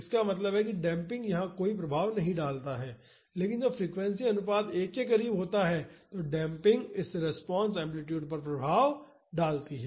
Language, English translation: Hindi, That means damping does not have any effect here, but when the frequency ratio is near 1 the damping has effect on this response amplitude